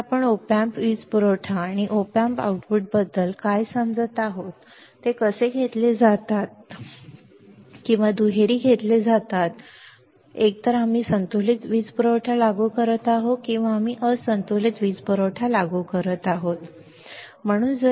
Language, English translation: Marathi, So, this is the what we are understanding about the op amps power supply and op amp outputs how they are taken either they are taken single ended or they are taken double ended either we are applying balanced power supply or we are applying unbalanced power supply ok